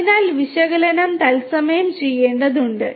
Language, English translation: Malayalam, So, analytics will have to be done in real time